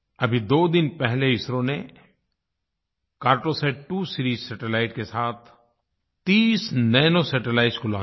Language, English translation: Hindi, Just two days ago, ISRO launched 30 Nano satellites with the 'Cartosat2 Series Satellite